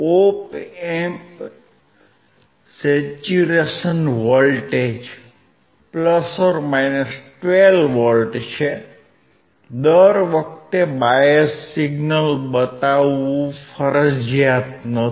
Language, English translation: Gujarati, The Op Amp saturation voltage is a + 12V; It is not mandatory to show every time bias signal